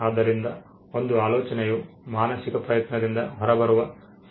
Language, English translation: Kannada, So, an idea is something that comes out of a mental effort